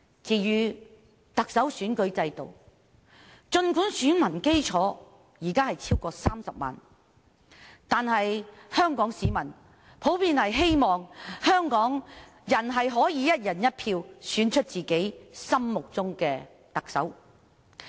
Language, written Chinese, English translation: Cantonese, 至於特首選舉制度，儘管現時選民基礎已超過30萬人，但香港市民普遍希望可以"一人一票"選出特首。, Under the Chief Executive election system despite the current electorate base of over 300 000 voters Hong Kong people generally hope that they can elect the Chief Executive by one person one vote